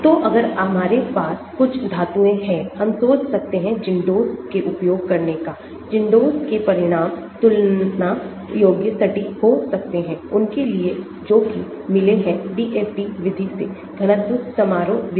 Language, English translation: Hindi, So, if we have some metals, we can think about using ZINDOS , ZINDOS results can be of comparable accuracy to those obtained with DFT method ; density function method